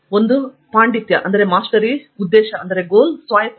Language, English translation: Kannada, One is Mastery, Purpose and Autonomy